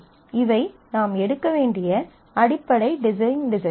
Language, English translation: Tamil, So, these are the basic design decisions that you need to make